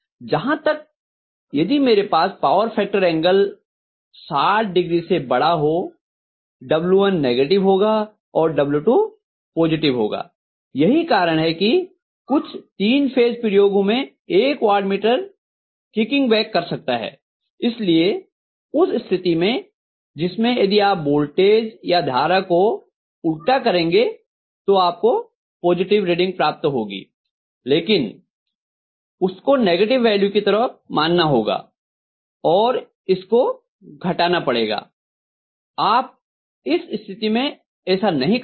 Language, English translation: Hindi, Whereas if I am going to have the power factor angle to be greater than 60, W1 will be negative and W2 is going to be positive, that is why you will see that in some of the three phase experiments when you done of the watt meters might be kicking back, so in which case was either the voltage or the current you will be able to get a positive reading but that you have to treat as a negative value and subtract it, you can not, in that case you have to say W1 magnitude whatever you get the some value X, whereas W2 is going to be a positive value, let us say Y, then you are going to say Y minus X is the net power in that particular case, right